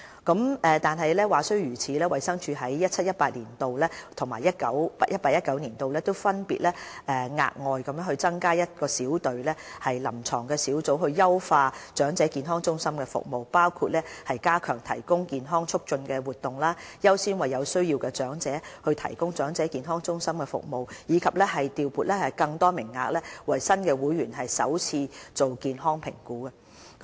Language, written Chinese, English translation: Cantonese, 話雖如此，衞生署於 2017-2018 年度和 2018-2019 年度，分別額外增加一隊臨床小組，以優化長者健康中心的服務，其工作包括加強提供健康促進活動、優先為有需要的長者提供長者健康中心的服務，以及調撥更多名額為新會員進行首次健康評估。, Nevertheless DH will still establish one additional clinical team in 2017 - 2018 and 2018 - 2019 respectively to enhance the EHC services including strengthening the health promotion activities giving priority to the needy elders to use the services of EHCs and allocating more first - time health assessment quotas to new members